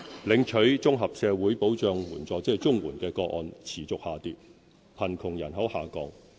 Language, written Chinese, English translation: Cantonese, 領取綜合社會保障援助的個案持續下跌；貧窮人口下降。, The number of Comprehensive Social Security Assistance CSSA cases has continued to drop and the poor population is shrinking